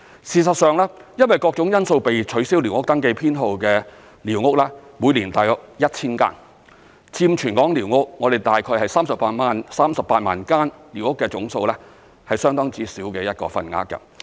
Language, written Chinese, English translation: Cantonese, 事實上，因為各種因素被取消寮屋登記編號的寮屋每年大約有 1,000 間，佔全港寮屋——總數大概是38萬間——是相當之小的份額。, As a matter of fact the authorities cancel about 1 000 squatter survey numbers every year due to various reasons . They only account for a small fraction of the squatters in the territory which are about 380 000 in total